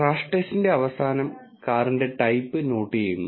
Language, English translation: Malayalam, At the end of the crash test, the type of the car is noted